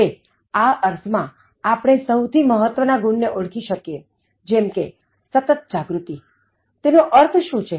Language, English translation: Gujarati, Now, in that sense we identified the most important attractive qualities such as practicing mindfulness, what does it mean